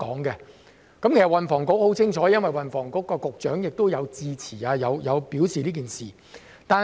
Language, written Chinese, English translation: Cantonese, 運輸及房屋局對此十分清楚，因為運輸及房屋局局長曾就此事致辭。, The Transport and Housing Bureau should be very clear about this as the Secretary for Transport and Housing also delivered a speech on this at the time